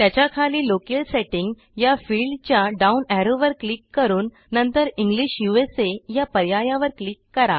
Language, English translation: Marathi, Below that click on the down arrow in the Locale setting field and then click on the English USA option